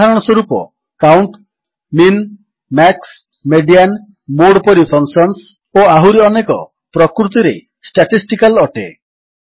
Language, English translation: Odia, For example, functions like COUNT, MIN, MAX, MEDIAN, MODE and many more are statistical in nature